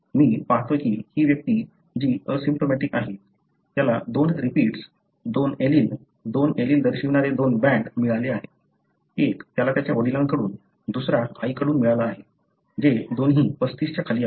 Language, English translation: Marathi, I see that this individual who is asymptomatic, he has got two repeats, two alleles, two bands representing two alleles, one that he got from his father, other one is from mother, which both of them are below 35